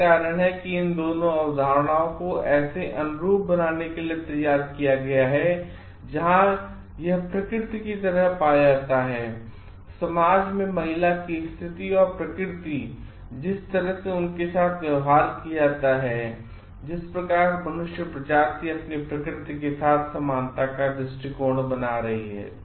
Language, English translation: Hindi, That is why these 2 concepts have been like drawn to be analogous where it is found to be like the nature and the position of the woman in society and the nature and the and the way that they are treated have certain similarity of the attitude of human being towards the nature at large